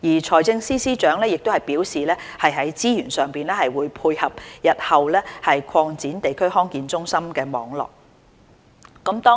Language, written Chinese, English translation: Cantonese, 財政司司長已表示會在資源上配合日後擴展地區康健中心網絡。, The Financial Secretary has indicated that he will continue to provide resources needed for the future expansion of the network of DHCs